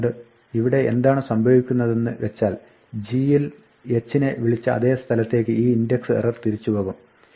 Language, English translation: Malayalam, So, what will happen here is that this index error will go back to the point where, h was invoked in g